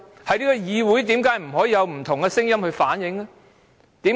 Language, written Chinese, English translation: Cantonese, 在這個議會，為何不能有不同聲音反映意見？, In this Council why cant we have different voices?